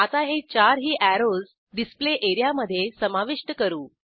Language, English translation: Marathi, Lets add these 4 arrows to the Display area